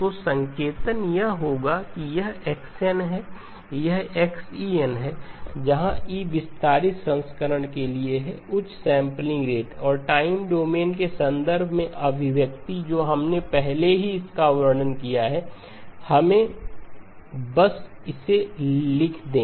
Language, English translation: Hindi, So the notation would be if this is x of n, this is xE of n where E stands for the expanded version, the higher sampling rate and the expression in terms of the time domain already we have described it, let us just write it down